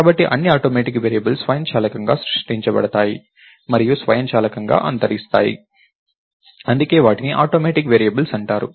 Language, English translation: Telugu, So, all automatic variables are created automatically and destroyed automatically, thats why they are called automatic variables